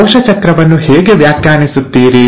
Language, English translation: Kannada, Now, how will you define cell cycle